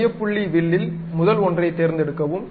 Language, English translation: Tamil, So, pick center point arc, the first one